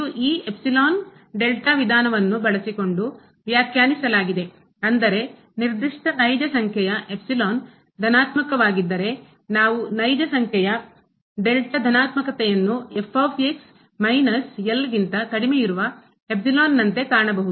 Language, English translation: Kannada, It was defined using this epsilon delta approach that means, if for a given real number epsilon positive, we can find a real number delta positive such that minus less than epsilon